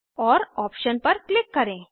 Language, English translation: Hindi, And Click on the option